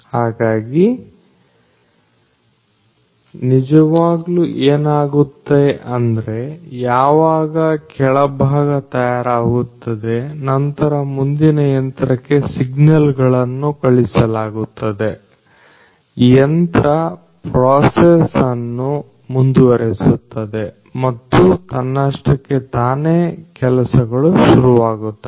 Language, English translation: Kannada, So, essentially what happens is that when the bottom part is made after that the signals are sent to the next machine which will take the process over and automatically things are going to be started